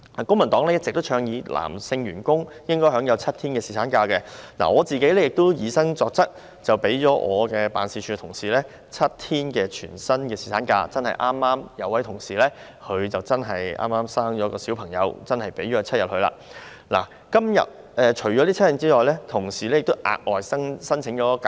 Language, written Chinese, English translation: Cantonese, 公民黨一直倡議男性員工應該享有7天侍產假，我本人亦以身作則，讓辦事處職員享有7天全薪侍產假，有一名職員的妻子剛巧生了小孩，所以我讓他放取7天侍產假，但除了這7天外，他亦額外申請假期。, The Civic Party has always advocated that male employees should be entitled to paternity leave of seven days . I also personally set an example by allowing my office staff to enjoy full - pay paternity leave of seven days . It happened that a staff members wife had given birth to a child so I let the father take paternity leave for seven days but he also applied for extra leave in addition to those seven days